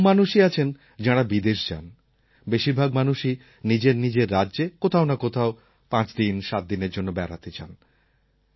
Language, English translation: Bengali, There are very few people who go abroad; most people visit places within their own states for a week or so